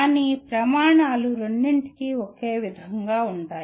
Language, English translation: Telugu, But the criteria remain the same for both